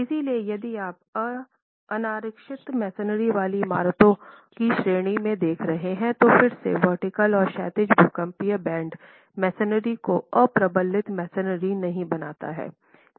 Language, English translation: Hindi, So, if you were looking at categories of unreinforced masonry buildings, again, the vertical and horizontal seismic bands do not make the masonry or reinforced masonry